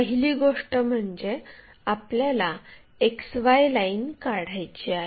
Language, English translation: Marathi, The first step what we have to follow is draw an XY line